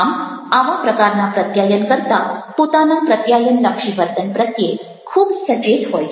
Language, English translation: Gujarati, so these type of communicators are very cautious about their communication behavior